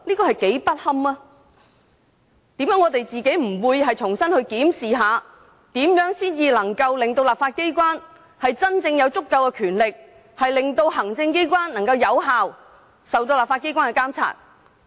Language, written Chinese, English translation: Cantonese, 為甚麼我們不能重新檢視，如何令立法機關有足夠權力，讓行政機關受到立法機關有效監察？, Why cant we re - examine how the legislature can have sufficient power to effectively monitor the executive authorities?